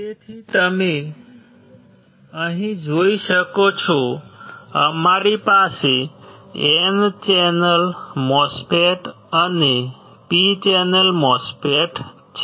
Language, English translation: Gujarati, So, you can see here, we have P channel MOSFETs and N channel MOSFET